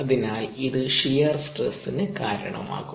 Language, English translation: Malayalam, therefore it can cause shear stress